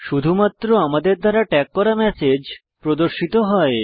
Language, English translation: Bengali, Only the messages that we tagged are displayed